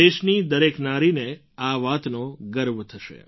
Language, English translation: Gujarati, Every woman of the country will feel proud at that